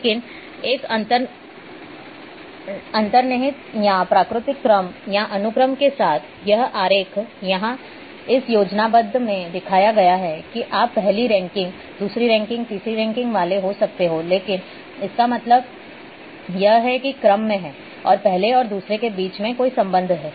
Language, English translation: Hindi, But with an inherent or natural order or sequence here this diagram also shown here in this schematic that you might be having first ranking,second ranking, third ranking; that means, there is a order and there is a meaning between first and second